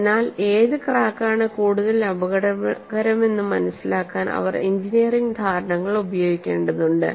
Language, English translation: Malayalam, So, they have to use engineering judgment to appreciate which of the cracks is more dangerous